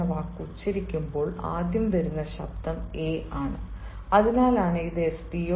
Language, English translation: Malayalam, so when you pronounce this word sdo, the first sound that comes is a, and that is why it should be an sdo